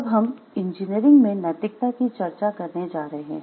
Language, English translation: Hindi, So, what is engineering ethics